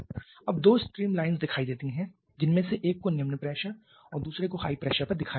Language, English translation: Hindi, Now there are two stream lines shown one at low pressure and other at high pressure